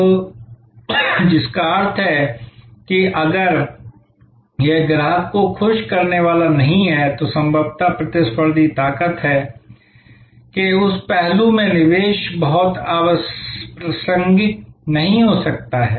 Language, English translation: Hindi, So, which means that if it is not going to enhance customer delight, then possibly investment in that aspect of the competitive strength may not be very relevant